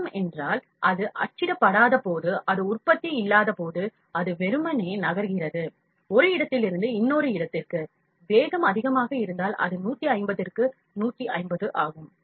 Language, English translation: Tamil, Travel means, when it is not printing, when it is not productive it is moving just ideally from one place to another, if the speed is high it is 150 and 150